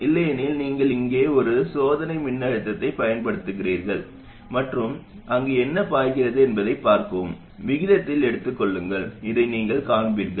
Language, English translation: Tamil, If not you apply a test voltage here and see what can it flows, take the ratio, you will find this